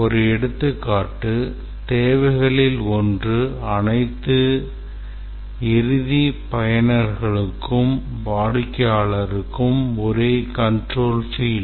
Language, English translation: Tamil, Let's say one of the requirements that was obtained is that all the end users or customers have the same control field